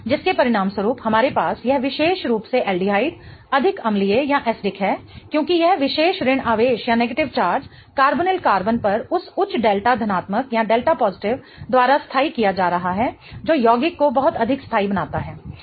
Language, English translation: Hindi, As a result of which we have this particular aldehyde being much more acidic because this particular negative charge is being stabilized by that higher delta positive on the carbonyl carbon, making the compound much more stable